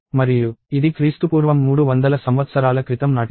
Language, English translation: Telugu, And this dates back to 300 years before BC